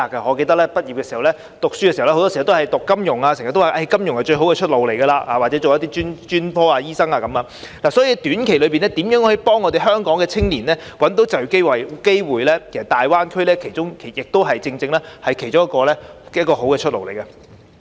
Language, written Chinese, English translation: Cantonese, 我記得我還在唸書時，很多時學生也是修讀金融科目，人們經常說金融是最好的出路，又或是攻讀其他專科或醫生等，所以在短期內如何能協助香港青年找到就業機會，大灣區是其中一個好的出路。, I remember when I was still studying many students had to opt for finance - related subjects as people often said the financial field offered the best prospects for young people while some other might opt for other professional or medical disciplines . The Greater Bay Area is one of the good prospects for Hong Kong young people in job opportunities in near term